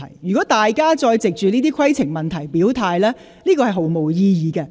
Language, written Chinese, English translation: Cantonese, 如果大家再藉着提出規程問題來表態，這是毫無意義的。, It is pointless for you to state your position by raising points of order again